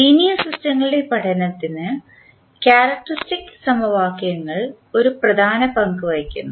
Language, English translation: Malayalam, So, the characteristic equations play an important role in the study of linear systems